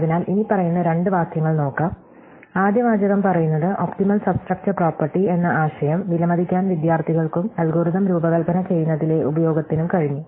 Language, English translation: Malayalam, So, let us look at the following two sentences; the first sentence says the students who were able to appreciate the concept optimal substructure property and its use in designing algorithms